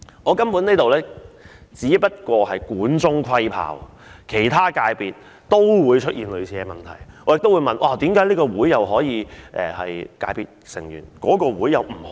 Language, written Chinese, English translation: Cantonese, 我根本只能管中窺豹，其他界別也會出現類似的問題，為何這個商會可以成為界別成員，那一個卻不可以？, I can only see one side of the picture . As other FCs also have similar problems I do not understand why one trade association is qualified as a member of an FC while the other trade association is not